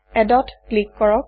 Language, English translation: Assamese, Click on Add